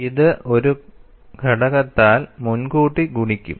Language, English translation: Malayalam, It will be pre multiplied by a factor here